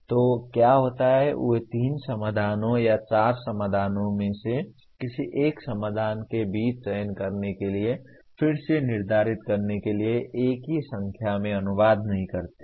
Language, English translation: Hindi, So what happens is they do not exactly translate into one single number to determine again to select among three solutions or four solutions one particular solution